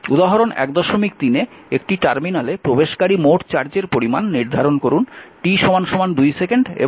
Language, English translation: Bengali, 3 determine the total charge entering a terminal between t is equal to 2 second and t is equal to 4 second